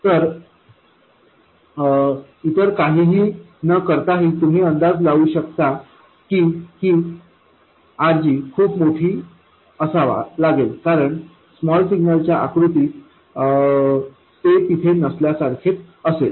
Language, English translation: Marathi, So even without doing anything else, you can guess that this RG has to be very large, because in the small signal picture it should be as good as not being there